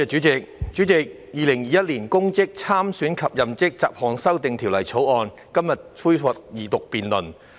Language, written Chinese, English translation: Cantonese, 主席，《2021年公職條例草案》在今天恢復二讀辯論。, President the Second Reading debate on the Public Offices Bill 2021 the Bill resumes today